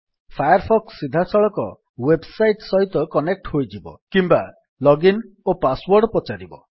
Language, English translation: Odia, Firefox could connect to the website directly or it could ask for a login and password